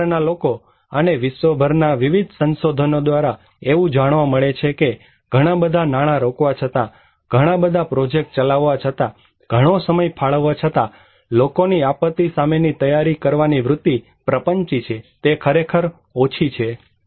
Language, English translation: Gujarati, People from the field, from various research across the globe is showing that after putting a lot of money, running a lot of projects, spending a lot of time, the inclination; the tendency of the people to prepare against disaster is elusive, it is really low